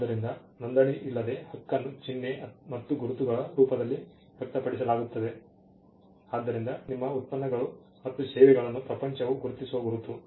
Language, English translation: Kannada, So, without even without registration the right is express itself in the form of a symbol’s words and marks so, that trademark is something it is a mark by which your products and services are identified by the world